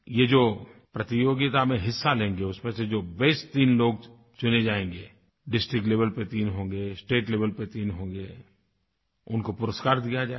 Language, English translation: Hindi, The best three participants three at the district level, three at the state level will be given prizes